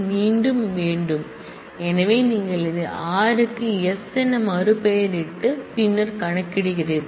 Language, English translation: Tamil, So, you are using this to rename r to s and then compute this